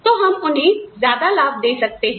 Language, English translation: Hindi, So, we can give them, more benefits